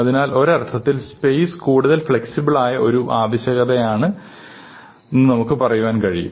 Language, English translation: Malayalam, And so in a sense, space is a more flexible requirement and so we can think about it that way